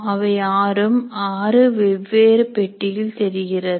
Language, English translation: Tamil, So these six can be shown as six different boxes